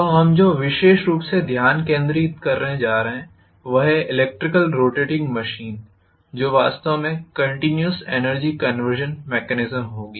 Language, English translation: Hindi, So what we are going to concentrate specifically is electrical rotating machines which will actually have continuous energy conversion mechanism, right